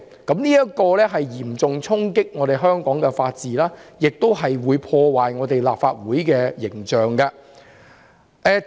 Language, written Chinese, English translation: Cantonese, 這嚴重衝擊香港的法治，亦會破壞立法會的形象。, This will deal a serious blow to the rule of law in Hong Kong and tarnish the image of the Legislative Council as well